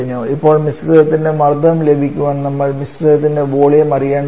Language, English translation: Malayalam, We need to know the mixture volume